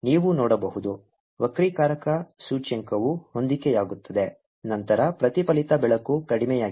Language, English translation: Kannada, in fact, if the refractive index become equal, then there will be no reflected light